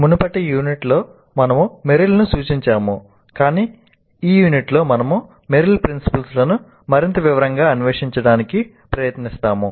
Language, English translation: Telugu, In earlier units we referred to Meryl but in this unit we will try to explore Meryl's principles in greater detail